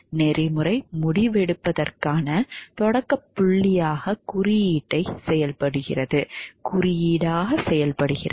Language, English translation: Tamil, Code serve as a starting point for ethical decision making